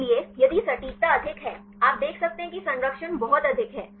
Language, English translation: Hindi, So, if the accuracy is high; you can see the conservation is very high